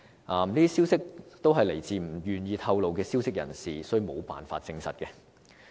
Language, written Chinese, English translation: Cantonese, 這些消息均來自不願意透露名字的消息人士，所以無法證實。, As the information has come from a source not willing to be identified it cannot be ascertained